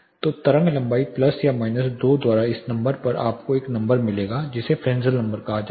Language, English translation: Hindi, So, this number by wave length plus or minus 2 you will get a number called Fresnel number